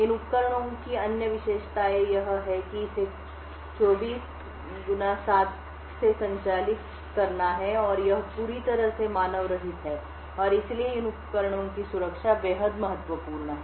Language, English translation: Hindi, Other features of these devices is that it has to operate 24 by 7 and it is completely unmanned and therefore the security of these devices are extremely important